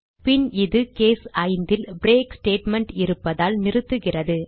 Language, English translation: Tamil, Then it stops because of the break statement in case 5